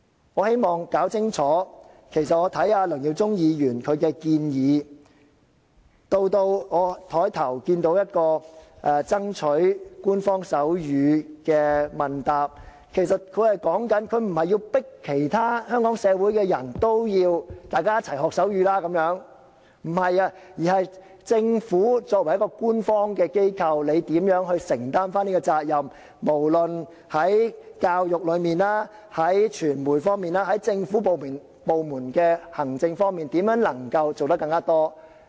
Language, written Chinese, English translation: Cantonese, 我希望弄清楚，我看梁耀忠議員的建議，以至我在桌上看到一份有關爭取手語成為官方語言的問答文件，其實說的不是要迫使香港其他社會人士要一起學習手語，而是作為官方機構的政府怎樣承擔責任，無論在教育、傳媒、政府部門的行政方面怎樣能夠做得更多。, I want to make clear one point . From the proposal of Mr LEUNG Yiu - chung as well as from the question and answer paper on the table about striving to make sign language an official language of Hong Kong my understanding is that they are actually not about forcing other people in Hong Kong to learn sign language but about how the Government as an official organization should take the responsibility no matter in education or in media and how government departments can do more on the administration level